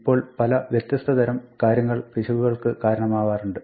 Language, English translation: Malayalam, Now there are many different kinds of things that can go wrong